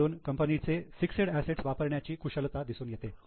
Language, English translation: Marathi, This shows the efficiency in utilization of fixed assets